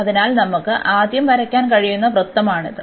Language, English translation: Malayalam, So, this is the circle which we can draw now first